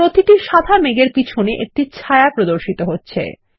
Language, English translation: Bengali, A shadow is displayed behind each white cloud